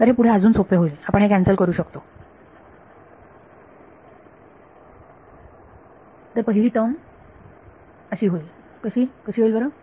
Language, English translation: Marathi, So, this will further simplify you can cancel it off, so the first term is going to become what will it become